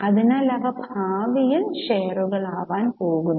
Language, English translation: Malayalam, They are also going to be shares in future